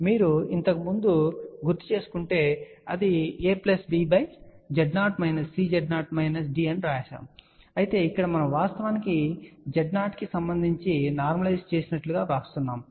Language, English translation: Telugu, If you recall earlier it is written as A plus B by Z 0 minus C Z 0 minus D but here we are actually writing these thing as normalized with respect to Z 0